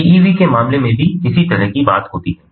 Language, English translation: Hindi, a similar sort of thing happens in the case of pevs as well